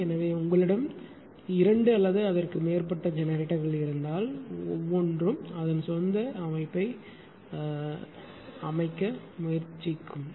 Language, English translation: Tamil, So, if you have more than ah two or more generators then everybody will try to set its own setting, right